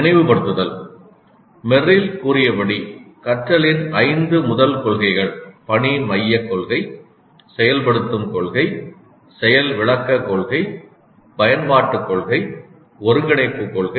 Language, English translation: Tamil, Recalling the five first principles of learning as stated by Merrill are task centered principle, activation principle, demonstration principle, application principle, integration principle, integration principle